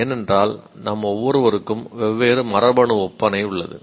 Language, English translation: Tamil, That is because right, we have first, each one of us have a different genetic makeup